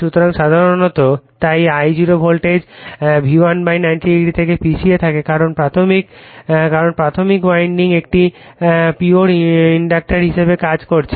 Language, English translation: Bengali, So, generally that your therefore, the I0 is lagging from the voltage V1 / 90 degree, it is because that primary winding is acting as a pure inductor right